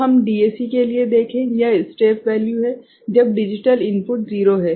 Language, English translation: Hindi, So, let us see for DAC, it is the step value, when the digital input is 0